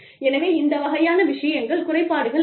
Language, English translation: Tamil, So, that kind of things, it is not disabilities